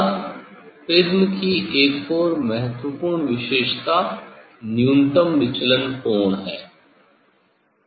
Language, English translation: Hindi, now another important characteristics of prism is the angle of minimum deviation